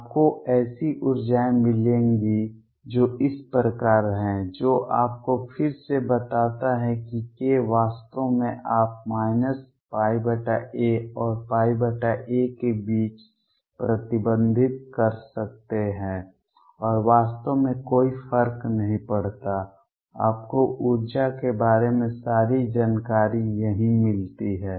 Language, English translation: Hindi, You will get energies which are like this; which again tells you that k actually you can restrict between the minus pi by a and pi by a and does not really matter, you get all the information about energies right here